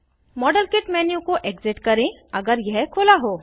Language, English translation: Hindi, Exit the model kit menu, if it is open